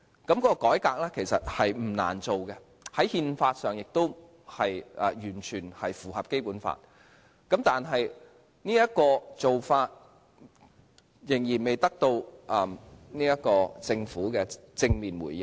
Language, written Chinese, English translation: Cantonese, 這個改革其實是不難做的，在憲法上亦完全符合《基本法》，可是仍然未得到政府正面回應。, In fact it is not difficult to implement such a reform which is in full compliance with the Basic Law constitutionally but the Government has yet to give any positive response